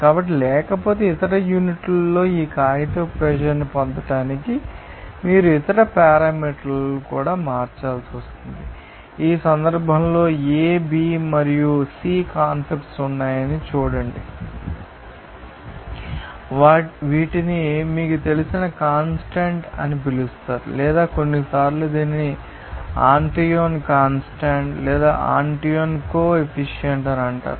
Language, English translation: Telugu, So, otherwise, you have to convert other parameters also to get this paper pressure in other units, in this case, see constants A, B and C are there; these are called material you know constants or sometimes it is called Antoine is constants or Antoine coefficients